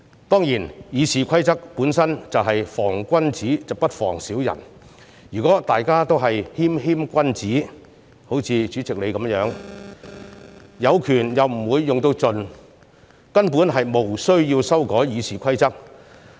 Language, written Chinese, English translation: Cantonese, 當然，《議事規則》本身是防君子不防小人，如果大家也是謙謙君子——好像主席一樣——有權又不會用盡，根本無須修改《議事規則》。, Certainly the Rules of Procedure is drawn up for the gentleman but not the villain . If everyone is a gentleman―just like the President―who has the power but will not use it to the fullest there is no need for us to amend the Rules of Procedure